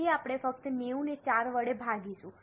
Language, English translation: Gujarati, So, we will simply divide 90 by 4